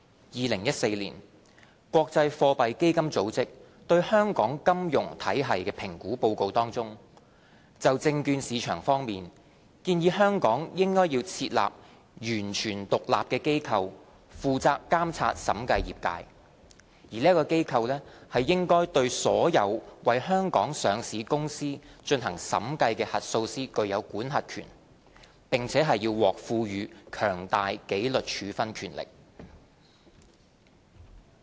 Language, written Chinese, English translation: Cantonese, 2014年，國際貨幣基金組織對香港金融體系評估的報告當中，就證券市場方面，建議香港應設立"完全獨立的機構，負責監察審計業界"，而該機構"應對所有為香港上市公司進行審計的核數師具有管轄權"，並獲賦予"強大紀律處分權力"。, In 2014 the International Monetary Fund recommended in its report concerning the assessment of Hong Kongs financial sector that Hong Kong should as far as its securities market is concerned establish a fully independent authority with responsibility for the oversight of the audit profession and that such authority should have jurisdictions over all auditors that audit companies listed in Hong Kong and should be given strong enforcement power